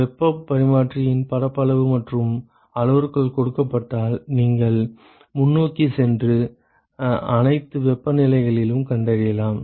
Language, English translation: Tamil, If the area and the parameters of the heat exchanger is given you can go forward and find out all the temperatures